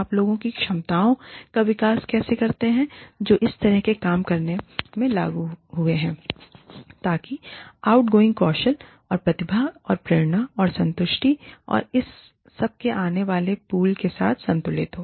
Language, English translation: Hindi, How do you develop the capabilities of the people, who are engaged in doing the work, in such a way, so that the outgoing is balanced, with the incoming pool of skills, and talent, and motivation, and satisfaction, and all of that